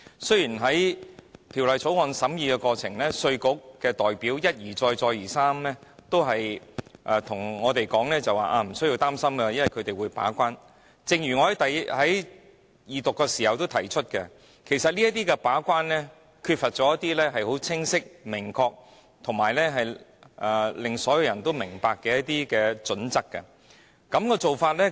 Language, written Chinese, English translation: Cantonese, 雖然在審議《條例草案》的過程中，稅務局的代表一再告訴我們無須擔心，因為有他們負責把關，但正如我在二讀法案時亦曾指出，他們在把關時，卻欠缺清晰而所有人也明白的準則作為依據。, The IRD representatives reassured us time and again during the scrutiny of the Bill that we did need to have any worry since they would act as the gatekeeper . However as I have said at the Resumption of Second Reading debate on the Bill their gatekeeping are not based on any clear - cut and comprehensible criteria